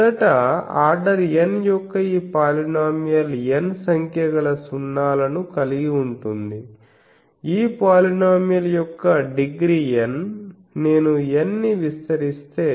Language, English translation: Telugu, Firstly, let us see this polynomial of order n has n number of zeros, this is a polynomial of degree N if I expand capital N